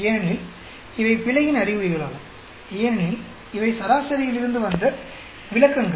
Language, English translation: Tamil, Because these are indications of the error, because these are deviations from the mean